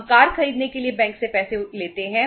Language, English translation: Hindi, We borrow money from the bank for buying a car